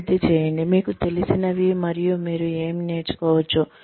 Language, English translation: Telugu, Develop, what you know, and what you can learn